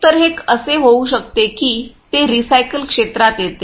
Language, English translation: Marathi, So, that it can be it comes into recycle area